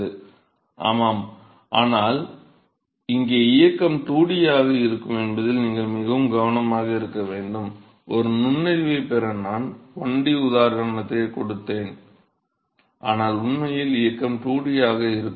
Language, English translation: Tamil, Yeah, but you have to be very careful that here the motion is going to be 2 dimensional, see I gave a one dimensional example just to get an insight, but really the motion is going to be 2 dimensional